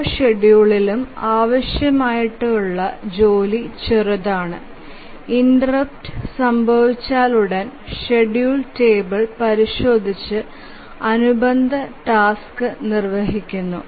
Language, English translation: Malayalam, In each schedule the work required is small as soon as the interrupt occurs, just consults the schedule table and start the execution of the corresponding task